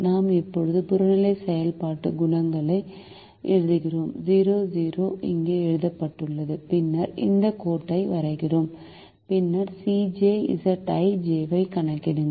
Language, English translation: Tamil, we now write the objective function coefficients: zero, zero are written here and we then draw this line and then calculate the c j minus z j